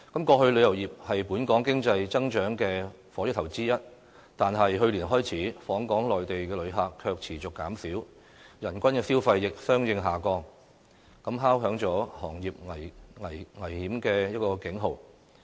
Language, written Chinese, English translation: Cantonese, 過去旅遊業是本港經濟增長的火車頭之一，但去年開始，訪港的內地旅客卻持續減少，人均消費亦相應下降，敲響了行業危機的警號。, In the past tourism was one of the locomotives driving the growth of the local economy . However since last year both the number of Mainland travellers visiting Hong Kong and their per capita spending have shown a declining trend . This sounds the alarm for the industry